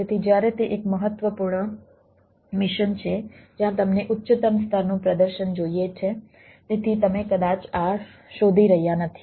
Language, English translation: Gujarati, so when it is a mission critical where you want highest level of performance, so you may not be looking for this